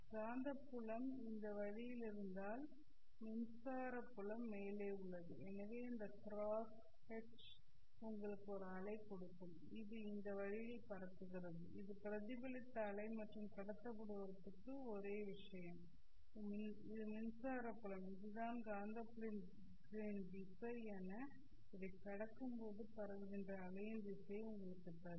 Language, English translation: Tamil, If the magnetic field is in this way, electric field is in the top, so this cross hedge will give you a wave which is propagating this way, that is a reflected wave, and for the transmitted is the transmitted, and for the transmitted is the directs it is the direction of the magnetic field